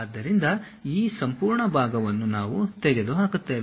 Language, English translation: Kannada, So, this entire portion we will be removing